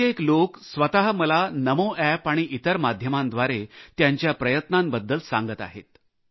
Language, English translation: Marathi, There are many people who are conveying their efforts to me through the NAMO app and other media